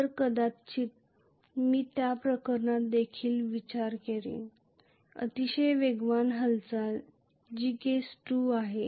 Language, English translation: Marathi, So maybe I would consider that case as well, very fast movement which is case 2